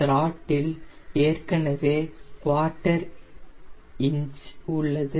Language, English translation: Tamil, throttle is already quarter inch in